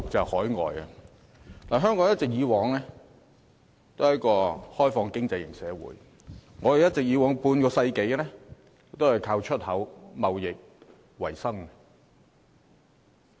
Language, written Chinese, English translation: Cantonese, 香港一直是一個開放型經濟社會，過去半個世紀以來，都是靠出口貿易為生。, Hong Kong has always been an externally - oriented economy and for more than half a century export trade has been our means of making a living